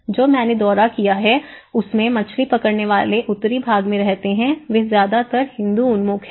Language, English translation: Hindi, In the northern side of the fishing villages which I have visited they are mostly Hindu oriented